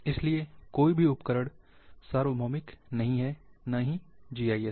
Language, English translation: Hindi, So, no tools are universal, neither GIS